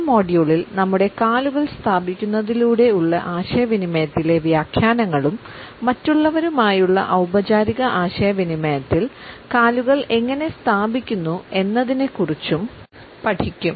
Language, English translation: Malayalam, In the current module we would look at the interpretations which are communicated by our feet and by the positioning of legs in our formal communication with others